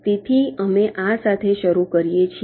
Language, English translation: Gujarati, so we start with this